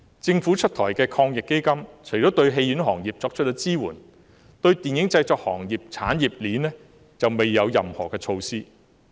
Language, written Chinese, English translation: Cantonese, 政府出台的防疫抗疫基金對戲院行業作出支援，但對電影製作行業的產業鏈卻未有任何措施。, The AEF launched by the Government provides support for the cinema industry but no measure has been put in place for the industrial chain of the film production industry